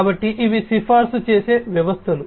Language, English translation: Telugu, So, these are the recommender systems